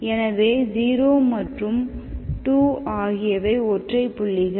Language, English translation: Tamil, So 0 and 2 are singular points, so these are the singular points